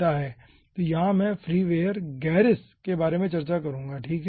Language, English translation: Hindi, so here i will be discussing about freeware gerris